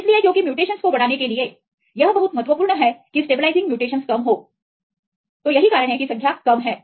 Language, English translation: Hindi, So, because it is very important to enhance the mutations this was a stabilizing mutations are less